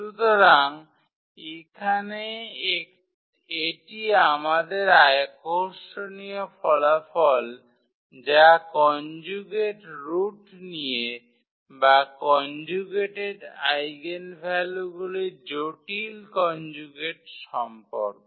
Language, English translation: Bengali, So, here that is the interesting result we have about the conjugate roots or about the conjugate eigenvalues complex conjugate here